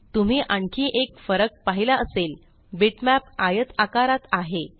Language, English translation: Marathi, You may have noticed one other difference bitmaps are rectangular in shape